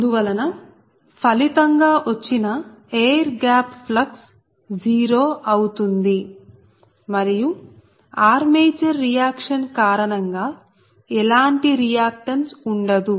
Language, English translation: Telugu, therefore the resultant air gap flux would be zero and there is no reactance due to armature reaction